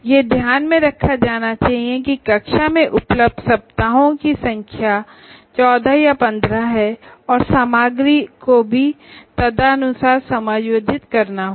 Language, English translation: Hindi, So that should be kept in mind the number of weeks available for classroom interactions to 14 or 15 and the content will have to be accordingly adjusted